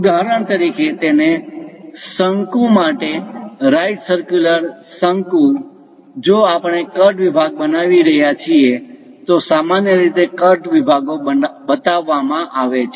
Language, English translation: Gujarati, For example, for the same cone the right circular cone; if we are making a cut section, usually cut sections are shown